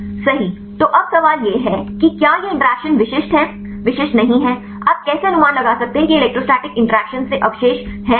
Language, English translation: Hindi, So, now, the question is whether these interactions are specific are not specific, how can you estimate whether this residues from electrostatic interactions or not right